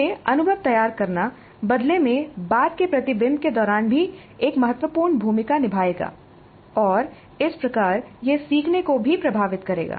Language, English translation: Hindi, Framing the experience influences subsequent reflection also and thus it will influence the learning also